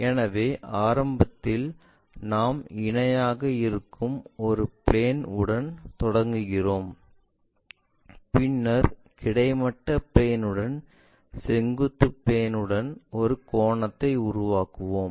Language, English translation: Tamil, So, initially we begin with a plane which is parallel, then make an angle with vertical planeah with the horizontal plane